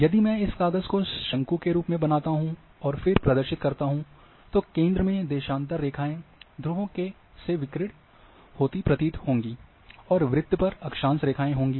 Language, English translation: Hindi, If I make that sheet as a cone and then expose, then I would have in the centre, the longitude would be radiating, from the poles, and then I will have circles for the latitude